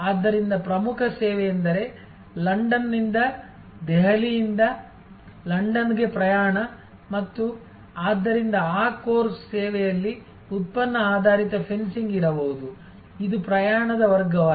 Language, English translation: Kannada, So, the core service is the travel from London, from Delhi to London and so in that course service there can be product based fencing, which is class of travel etc